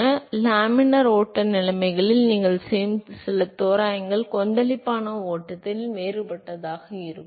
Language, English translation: Tamil, So, some of the approximations you make in laminar flow conditions it would be different in turbulent flow